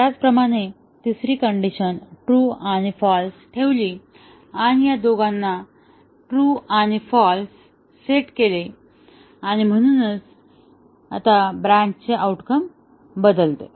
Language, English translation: Marathi, We set the third basic condition to true and false and keeping these two at true and false, and therefore the branch outcome toggles